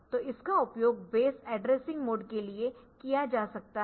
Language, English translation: Hindi, So, that can be used for the base addressing mode